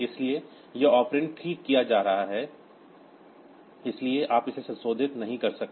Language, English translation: Hindi, So, this operand being fixed, so you cannot modify it